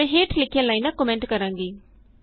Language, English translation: Punjabi, I will comment out the following lines